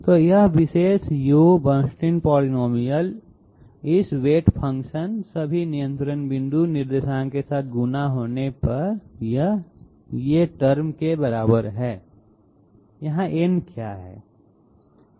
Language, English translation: Hindi, So this U what you call it Bernstein polynomial this weight function multiplied with all the control point coordinates, it is equal to n C i u to the power i multiplied by 1 u n i